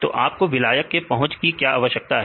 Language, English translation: Hindi, Why do you need this solvent accessibility